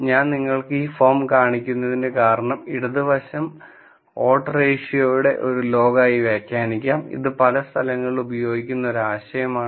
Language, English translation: Malayalam, The reason why I show you this form is because the left hand side could be interpreted as log of odds ratio, which is an idea that is used in several places